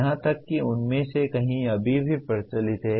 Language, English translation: Hindi, Even many of them are still are practiced